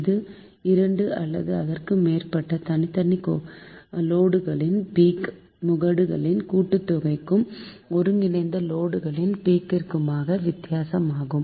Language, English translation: Tamil, so it is the difference between the sum of the peaks of two or more individual loads and the peak of the combined load